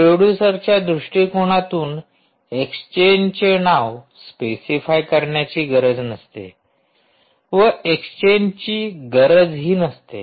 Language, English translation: Marathi, from a producers perspective, ah, you dont need to specify the name of any exchange